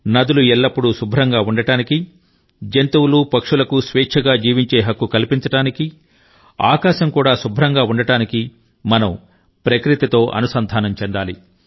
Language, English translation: Telugu, For ensuring that the rivers remain clean, animals and birds have the right to live freely and the sky remains pollution free, we must derive inspiration to live life in harmony with nature